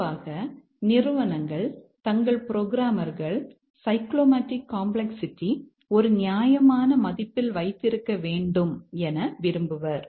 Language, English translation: Tamil, Normally the companies require their programmers to keep the cyclomatic complexity to a reasonable value